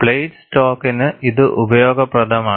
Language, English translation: Malayalam, This is useful for plate stock